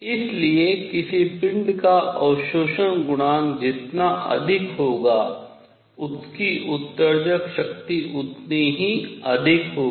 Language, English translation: Hindi, So, higher the absorption coefficient of a body, larger will be its emissive power